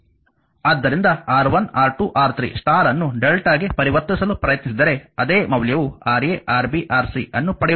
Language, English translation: Kannada, So, taking R 1 R 2 R 3 star try to convert to delta, same value will get Ra Rb Rc right